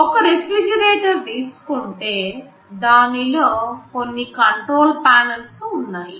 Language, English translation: Telugu, You think of a refrigerator there normally there are some control panels